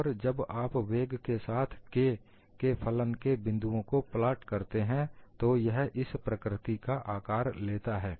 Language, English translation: Hindi, And when you plot those points as the function of K versus velocity, it takes a shape of this nature